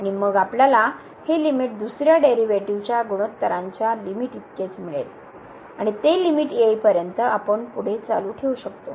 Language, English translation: Marathi, And, then we will get this limit is equal to the limit of the ratio of the second derivatives and so on we can continue further till we get the limit